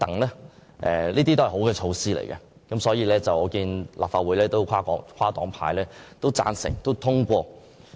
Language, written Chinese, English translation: Cantonese, 這些都是好措施，因而獲立法會跨黨派支持和通過。, These good measures are widely supported by various parties and have therefore been endorsed